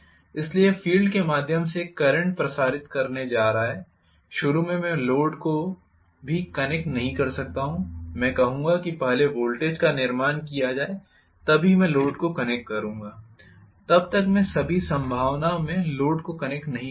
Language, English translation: Hindi, So, this is going to circulate a current through the field, initially, I may not even connect the load I will say let the voltage built up then only I will connect the load, until then I will not even connect the load in all probability